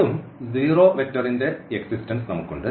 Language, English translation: Malayalam, Again, so, we have this existence of the 0 vector